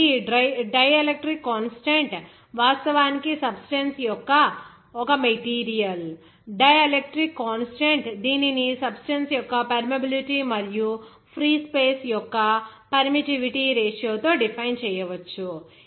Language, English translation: Telugu, So, this dielectric constant is actually is a material dielectric constant that of a substance can be defined as that ratio of the permeability of the substance to the permittivity of the free space